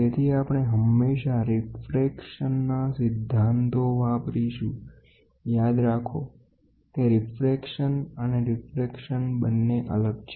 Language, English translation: Gujarati, So, we also use refraction principles; diffraction and refraction are different